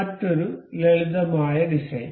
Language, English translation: Malayalam, Another simple design